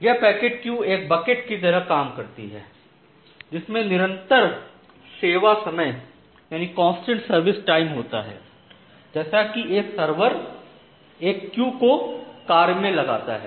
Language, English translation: Hindi, So, this packet queue works like a bucket and a single server queue with constant service time that particular server serves the queue